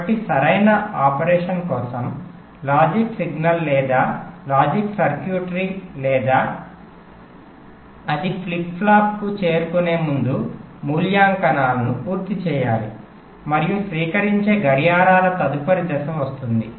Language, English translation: Telugu, so for correct operation, the logic signal or logic circuitry or must complete it evaluations before ah, it reaches the flip flop and next stage of receive clocks comes